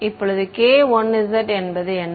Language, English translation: Tamil, Now k 1 z what was k 1 z